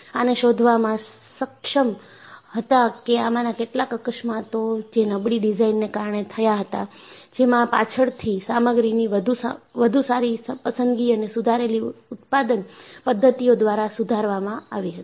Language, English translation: Gujarati, And, they were able to trace out that some of these accidents were due to poor design, which was later improved by better choice of materials and improved production methods